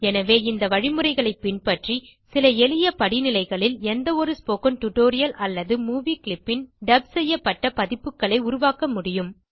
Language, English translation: Tamil, So, you see, by following this procedure, you will be able to create dubbed versions of any spoken tutorial or movie clip in a few simple steps